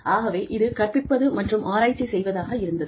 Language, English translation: Tamil, So, it was teaching and research, maybe